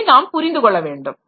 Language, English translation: Tamil, So, that we have to understand